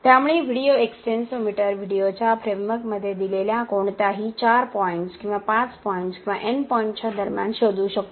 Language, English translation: Marathi, So, the video extensometer can detect between any given 4 points or 5 point or any n number of points given in the framework of the video